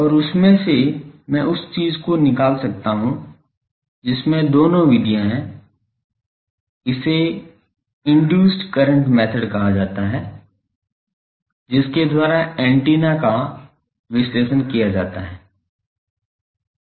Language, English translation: Hindi, And, from that also I can find the thing both methods are there, this is called induced current method by which where antennas are analysed